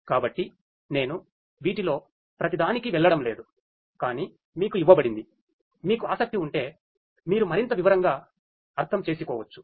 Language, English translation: Telugu, So, I am not going to go through each of these, but is given to you to you know if you are interested you can go through and understand in further detail